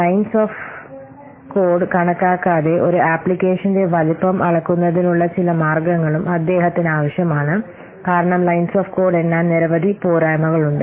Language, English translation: Malayalam, So, he also needed some way of measuring the size of an application without counting the lines of code because the counting lines of code has several dropbacks